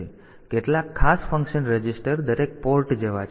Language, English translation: Gujarati, So, some of the special function registers are like every port